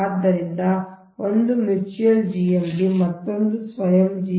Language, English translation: Kannada, so one is mutual gmd, another is self gmd, right